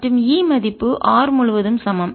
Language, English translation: Tamil, a r, which is equal to c